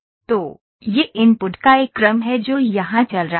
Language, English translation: Hindi, So, this is a sequence of input that is going on here